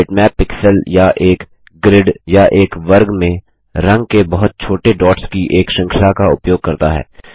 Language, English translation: Hindi, A bitmap uses pixels or a series of very small dots of colors in a grid or a square